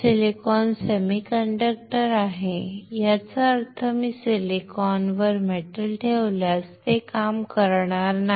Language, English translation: Marathi, Silicon is semiconductor, that means, that if I deposit metal on silicon then it will not work